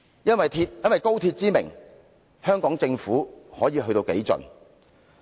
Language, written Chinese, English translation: Cantonese, 因高鐵之名，香港政府又會幹甚麼好事呢？, And what extreme measures will the Hong Kong Government take in the name of XRL?